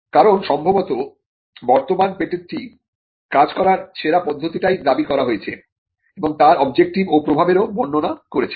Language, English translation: Bengali, Because most likely existing patent would claim the best method of it is working would describe it is object and the impact too